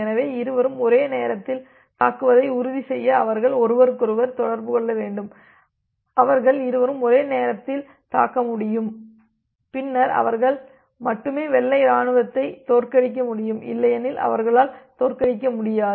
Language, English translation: Tamil, So, they need to communicate with each other to make sure that both of them attack simultaneously; both of them are able to attack simultaneously then they only they will be able to defeat the white army otherwise they will be not able to defeat